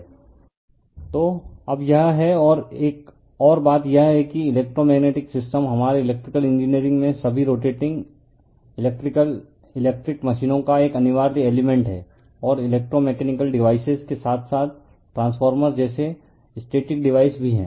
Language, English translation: Hindi, So that is your now and another thing is the electromagnetic system is an essential element of all rotating electrical electric machines in our electrical engineering we see, and electro mechanical devices as well as static devices like transformer right